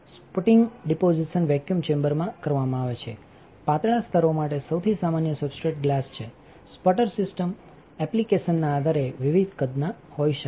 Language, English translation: Gujarati, Sputtering deposition is done in a vacuum chamber, the most common substrates for the thin layers is glass the sputter system can have different sizes depending on the application